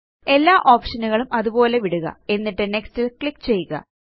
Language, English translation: Malayalam, Leave all the options as they are and click on Next